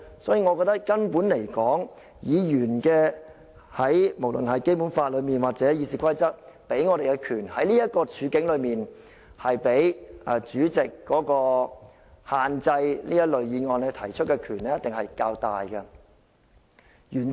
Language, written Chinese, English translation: Cantonese, 所以，從根本而言，我認為無論《基本法》或《議事規則》賦予議員的權力，在這個處境下，原則上一定是比主席限制這類議案提出的權力較大的。, So I hold that in this context the powers vested to Members whether under the Basic Law or the Rules of Procedure should in principle be greater than the power vested to the President on restricting the moving of these motions